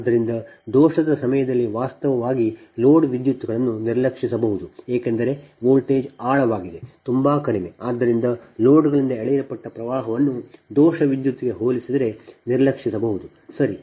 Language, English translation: Kannada, right, so during fault, actually load currents can be neglected, right, because voltage is deep, very low, so that the current drawn by loads can be neglected in comparison to fault current